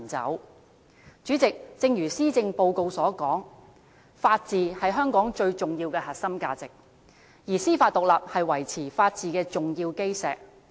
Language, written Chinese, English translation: Cantonese, 代理主席，正如施政報告所說，法治是香港最重要的核心價值，而司法獨立是維持法治的重要基石。, Deputy President as stated in the Policy Address the rule of law is the most important core value of Hong Kong and judicial independence is the linchpin in upholding the rule of law